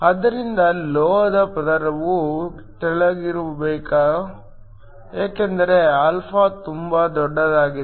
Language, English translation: Kannada, So, the metal layer should be thin because alpha is very large